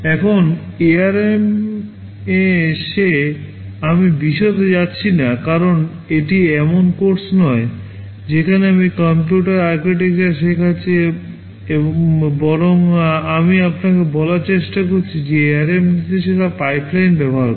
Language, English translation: Bengali, Now, coming to ARM I am not going into the details because this is not a course where I am teaching computer architecture rather I am trying to tell you that ARM uses instruction pipelining